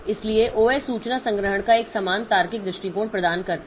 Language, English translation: Hindi, So, OS will provide a uniform logical view of information storage